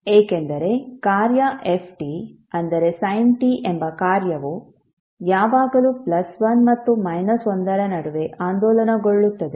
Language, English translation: Kannada, Because the function f t that is sin t will always oscillate between plus+ 1 and minus 1